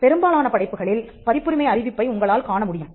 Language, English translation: Tamil, You would see your copyright notice on most works